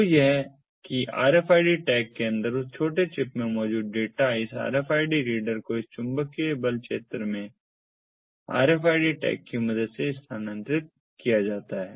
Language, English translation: Hindi, so this is how the data that is there in that small chip inside the rfid tag is transferred to the rfid reader with the help of this force field, magnetic force field